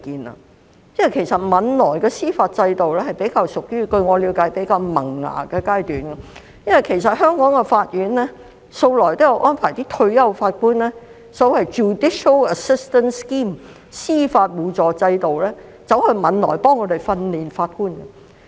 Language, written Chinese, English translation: Cantonese, 據我了解，汶萊的司法制度尚處於比較萌芽的階段，因為香港法院向來也有安排退休法官經所謂的 judicial assistance scheme 前往汶萊協助他們訓練法官。, According to my understanding the judicial system in Brunei is still at a budding stage . Hong Kong Courts have been sending retired judges to Brunei under the judicial assistance scheme to help Brunei train judges